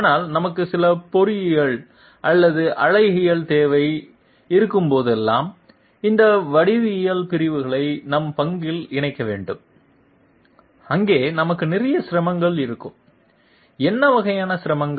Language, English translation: Tamil, But whenever we have some you know Engineering or aesthetic requirement, we have to incorporate those segments those geometrical segments into our part and there we will have a lot of difficulties, what sort of difficulties